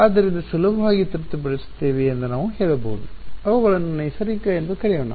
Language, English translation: Kannada, So, we can say that easily satisfy let us call them natural